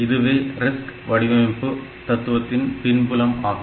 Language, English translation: Tamil, So, this RISC philosophy came from that point